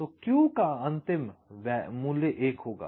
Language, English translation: Hindi, so the final value of q will be one right